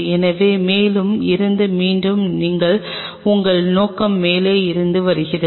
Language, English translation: Tamil, So, we have again from the top your objective is coming from the top